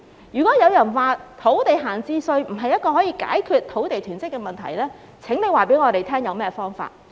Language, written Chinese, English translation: Cantonese, 如果有人說設置土地閒置稅並不能解決土地囤積的問題，那請他們告訴我們有何方法。, If some people say that the introduction of an idle land tax cannot resolve the problem of land hoarding please ask them to tell us what method should be adopted